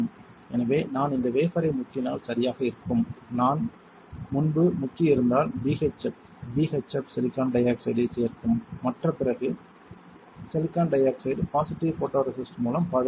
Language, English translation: Tamil, So, what I will have is right if I dip this wafer, if I have dipped earlier refer in BHF b h f will add silicon dioxide and other other silicon dioxide will be protected with using the or with the positive photoresist